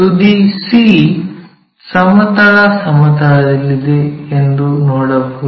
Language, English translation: Kannada, We can see end C is in horizontal plane